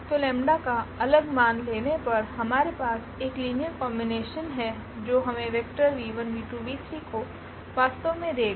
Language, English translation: Hindi, So, choosing a different value of lambda we have a different linear combination that will give us exactly this vector v 1 v 2 and v 3